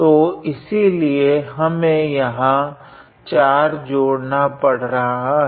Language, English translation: Hindi, So, therefore, we had to add a 4 here